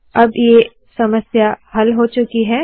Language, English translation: Hindi, This problem is solved